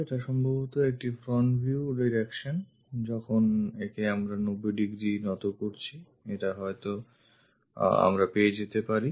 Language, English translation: Bengali, This possibly a front view direction when we are making that front view kind of thing 90 degrees aligning it we may be getting this one